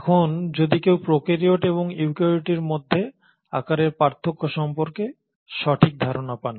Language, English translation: Bengali, Now if one were to get a fair idea about the size difference between the prokaryotes and eukaryotes